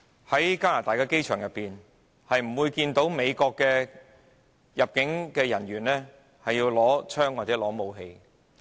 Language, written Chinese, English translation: Cantonese, 在加拿大的機場內，大家不會看見美國入境人員佩槍或攜有武器。, At Canadian airports people will not see immigration officers from the United Stated carrying a firearm or weapon